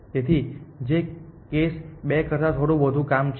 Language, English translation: Gujarati, So, which is a little bit more work then case 2